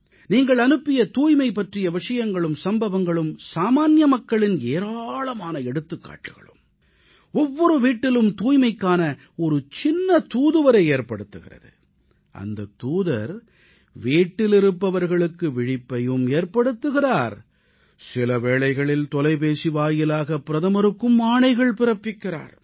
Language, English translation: Tamil, The stories that you've sent across in the context of cleanliness, myriad examples of common folk… you never know where a tiny brand ambassador of cleanliness comes into being in various homes; someone who reprimands elders at home; or even admonishingly orders the Prime Minister through a phone call